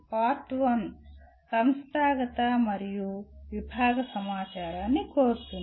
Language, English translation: Telugu, Part 1 seeks institutional and departmental information